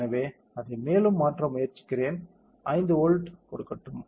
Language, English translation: Tamil, So, let me try to change it further let me give 5 volt let say